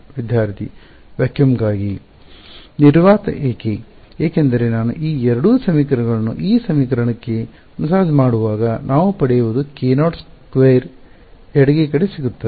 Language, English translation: Kannada, Vacuum why because when I massage these two equations into this equation what I get is a k naught squared on the left hand side